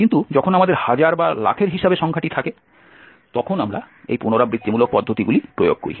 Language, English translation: Bengali, But when we have the order in thousands or lakhs then we go with these iterative methods